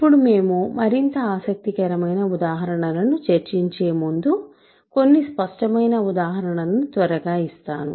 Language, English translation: Telugu, So, now let me quickly give you some obvious examples before we discuss more interesting examples